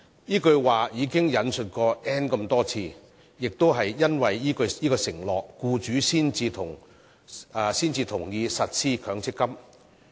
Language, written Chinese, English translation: Cantonese, 這句說話已被多次引述，亦因為這個承諾，僱主才同意實施強積金計劃。, Not only have these remarks been quoted many times but it was also because of this pledge that employers agreed to the implementation of the MPF scheme